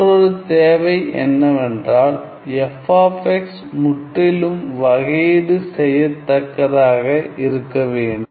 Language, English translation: Tamil, And another requirement is that f x must be absolutely integrable